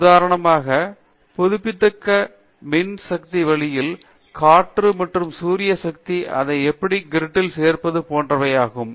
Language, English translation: Tamil, Same way in renewable power for example, wind solar how you integrate it to the grid, those are issues